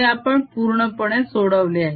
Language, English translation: Marathi, this we have solve quite a bit